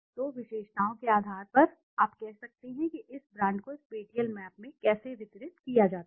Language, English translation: Hindi, So on basis of the attributes you can say how this brands are distributed in the spatial map